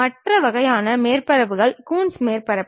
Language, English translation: Tamil, The other kind of surfaces are Coons surfaces